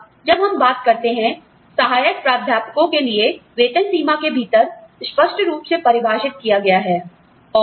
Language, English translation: Hindi, Now, when we talk about, within the pay range for assistant professors, is clearly defined